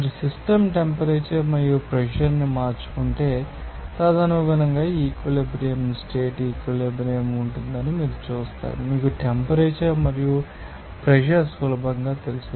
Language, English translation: Telugu, If you change the system temperature and pressure and accordingly, you will see that there will be an equilibrium condition equilibrium, you know temperature and pressure at ease